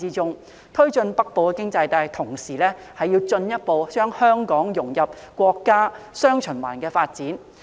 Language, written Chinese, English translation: Cantonese, 在推進"北部經濟帶"的同時，亦要進一步將香港融入國家"雙循環"的發展。, While driving the development of the Northern Economic Belt it is also necessary to further integrate Hong Kong into the countrys dual circulation development